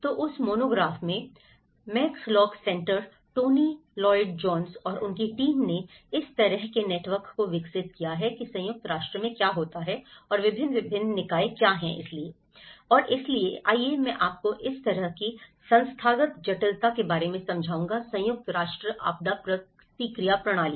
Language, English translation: Hindi, So in that monograph, the Max lock centre Tony Lloyd Jones and his team they have developed this kind of the network of what happens in UN and what are the various different bodies and so, let’s see I will explain you this kind of institutional complexity within the UN disaster response system